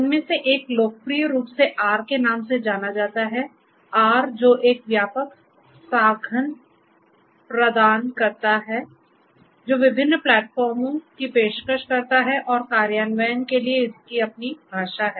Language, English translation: Hindi, One of these is popularly known as the R, the R tool which offers it is a comprehensive tool offering different platforms you know has its own language for implementation and so on